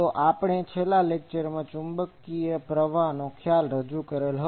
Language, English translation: Gujarati, So, today since in the last lecture we have introduced the concept of magnetic current